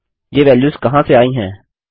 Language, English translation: Hindi, Where did these values come from